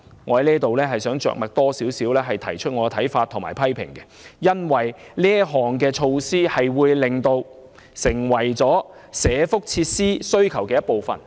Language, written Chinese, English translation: Cantonese, 我想對此多點着墨，以表達我的看法和批評，因為這項措施會令政府成為社福設施需求的一部分。, I would like to talk more on this namely my views and criticisms on this measure because it will make the Government part of the demand for welfare facilities